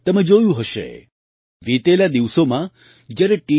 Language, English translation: Gujarati, You must have seen, in the recent past, when the T